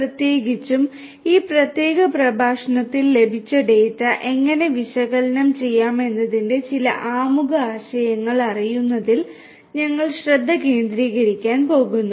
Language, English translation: Malayalam, Particularly, in this particular lecture we are going to focus on knowing some of the introductory concepts of how to analyze the data that is received